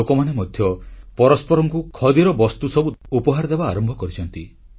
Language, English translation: Odia, Even people have started exchanging Khadi items as gifts